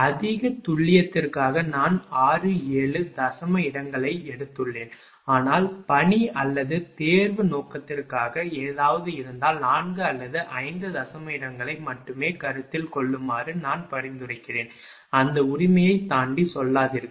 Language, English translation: Tamil, I have taken up to 6 7 decimal places for more accuracy, but for assignment or for exam purpose if something like is there, I will suggest you consider only up to 4 or 5 decimal places, do not go beyond that right